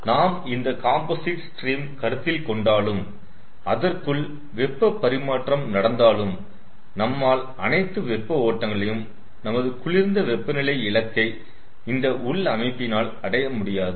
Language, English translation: Tamil, so even if we considered these to comp composite steam and ah heat exchange between them, we will not be able to bring all the hot streams to their target low temperature by in this internal arrangement